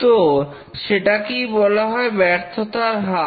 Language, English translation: Bengali, So that's called as the rate of occurrence of failure